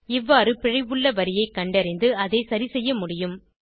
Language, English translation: Tamil, This way you can find the line at which error has occured, and also correct it